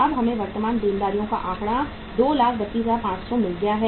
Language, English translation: Hindi, Now we have got the figure of current liabilities 232,500